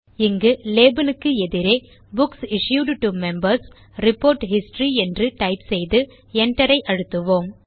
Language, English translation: Tamil, Here, let us type Books Issued to Members: Report History against the Label and press Enter